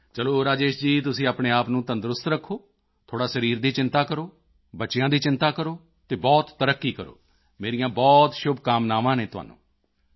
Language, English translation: Punjabi, Alright, Rajesh ji, keep yourself healthy, worry a little about your body, take care of the children and wish you a lot of progress